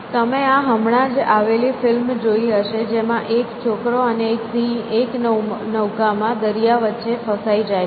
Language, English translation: Gujarati, You must have seen this recent movie, which these some boy and lion in a boat together stuck for across the ocean